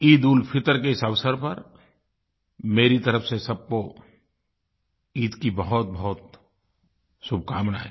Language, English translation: Hindi, On the occasion of EidulFitr, my heartiest greetings to one and all